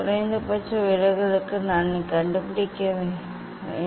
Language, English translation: Tamil, for minimum deviation I have to find out